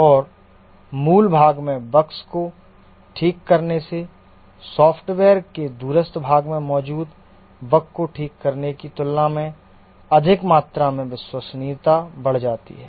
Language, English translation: Hindi, And fixing the bugs in the core part increases the reliability by a rather larger amount compared to fixing a bug that is there in a remote part of the software